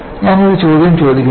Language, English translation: Malayalam, Let me, ask the question